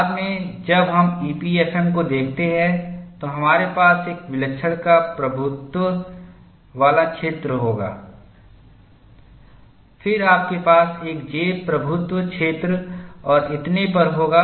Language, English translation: Hindi, Later on, we will look at EPFM, we will have a singularity dominated zone, then you have a j dominated zone and so on